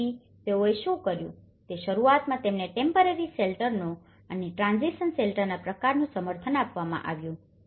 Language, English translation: Gujarati, So, what they did was they initially have been supported the kind of temporary shelters and the transition shelters